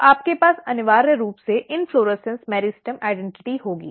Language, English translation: Hindi, So, you will have essentially inflorescence meristem identity